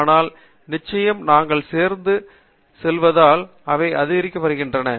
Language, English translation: Tamil, But, definitely, they are increasing in number as we go along